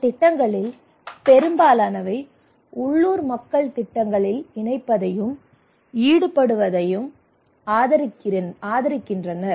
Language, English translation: Tamil, Most of these projects are advocating the incorporations and involvement of the local people into the projects